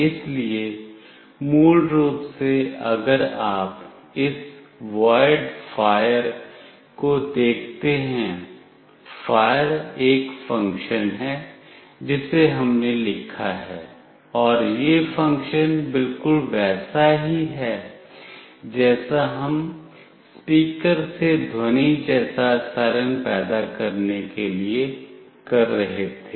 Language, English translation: Hindi, So, basically if you see this void fire, fire is a function that we have written and this function is very similar to what we were doing for the speaker generating a siren like sound